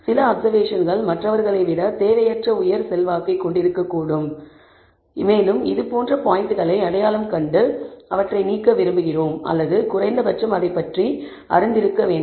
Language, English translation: Tamil, Additional questions may be that some observations may have unduly high influence than others and we want to identify such points and perhaps remove them or at least be aware of this